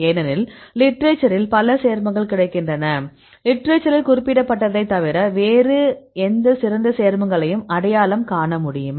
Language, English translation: Tamil, Or if you have the new compounds because many compounds available in the literature; can you identify any better compound other than the one which reported in the literature